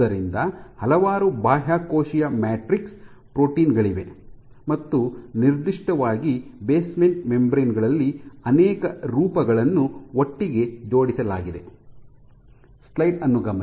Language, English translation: Kannada, So, there are several extracellular matrix proteins and basement membrane in particular has multiple of them arranged together